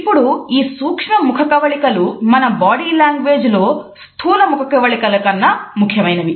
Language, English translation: Telugu, Now, these micro expressions are significant aspect of body language much more significant than the macro ones